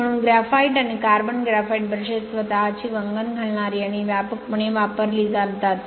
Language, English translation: Marathi, Therefore graphite and carbon graphite brushes are self lubricating and widely used